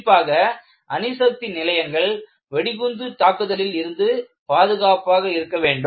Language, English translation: Tamil, Particularly, nuclear installations should be safe from a bomb attack